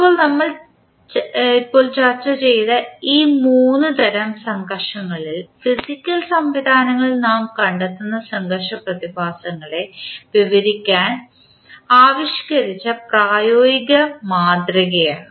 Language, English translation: Malayalam, Now, these three types of frictions which we have just discussed are considered to be the practical model that has been devised to describe the frictional phenomena which we find in the physical systems